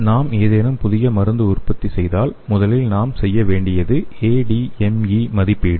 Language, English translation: Tamil, If you make any drug, the first thing we have to do is the ADME evaluation okay